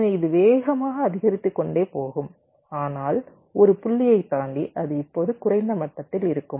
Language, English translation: Tamil, so it will go on rapidly increasing, but beyond the point it will now a less level of